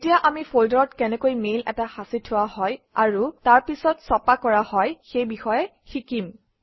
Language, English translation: Assamese, Let us now learn how to save a mail to a folder and then print it